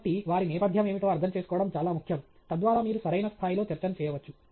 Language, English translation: Telugu, So, it’s very important to understand what their background is, so that you can pitch the talk at the right level okay